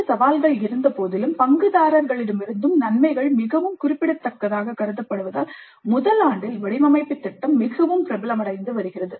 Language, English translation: Tamil, Despite these challenges, a design project in first year is becoming increasingly popular as the advantages are considered to be very significant by all the stakeholders